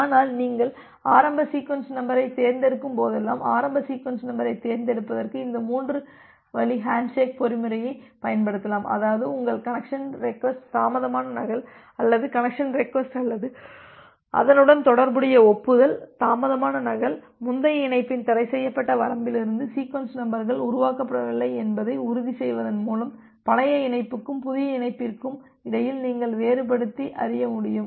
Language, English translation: Tamil, But, whenever you are selecting the initial sequence number, you can use this three way handshake mechanism for selecting the initial sequence number such that such that even if your connection request is the delayed duplicate or the connection request or the corresponding acknowledgement is the delayed duplicate you will be able to differentiate between the old connection and the new connection, by ensuring that the sequence numbers are not generated from the forbidden range of the previous connection